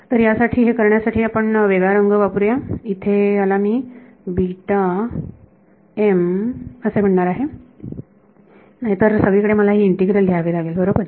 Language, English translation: Marathi, So, this let us use a different color this guy over here is what I am going to call beta bar m otherwise I have to keep writing in integral everywhere right